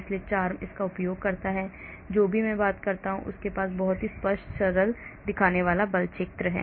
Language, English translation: Hindi, so this is what CHARMM uses, whatever I have been talking about, they have very clear simple looking force field